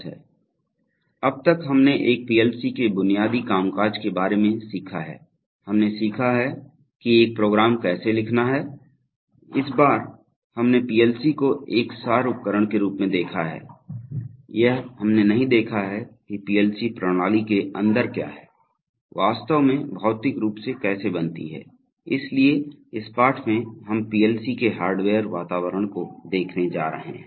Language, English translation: Hindi, Welcome to lesson 22, so far we have learnt about the basic functioning of a PLC, we have learnt how to write a program for it, but all this time we have seen the PLC as an abstract device, we have not seen what is inside a PLC system, what actually physically makes it, so in this lesson we are going to look at the hardware environment of the PLC's